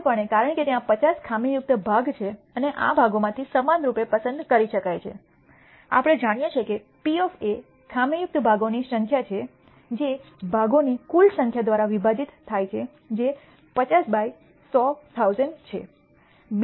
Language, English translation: Gujarati, Clearly, because there are 50 defective parts and each of these parts can be uniformly picked, we know that the probability of A is the number of defective parts divided by the total number of parts which is 50 by 100, 1,000